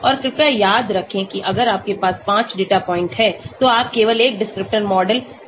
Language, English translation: Hindi, And please remember if you have 5 data points you can think of having only one descriptor model